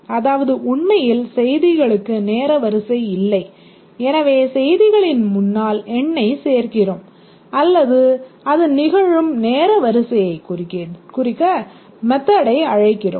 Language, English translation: Tamil, Here there is no time ordering of the messages but we add number in the front of the messages or method call to indicate the order in which it occurs